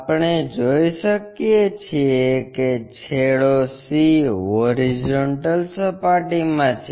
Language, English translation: Gujarati, We can see end C is in horizontal plane